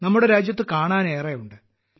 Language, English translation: Malayalam, There is a lot to see in our country